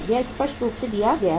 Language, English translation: Hindi, It is clearly given